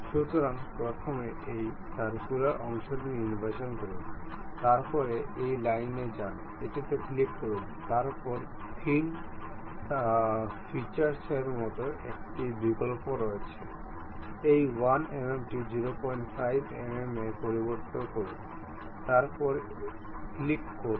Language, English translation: Bengali, So, first select this circular portion, then go to this line, click this one; then there is option like thin feature, change this 1 mm to 0